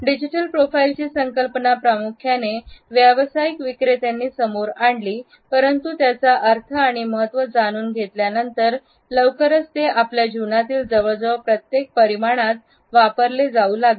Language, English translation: Marathi, The creation of the digital profile was primarily done by the sales people, but with the help of the connotations we find that very soon it started to be used in almost every other dimension of our life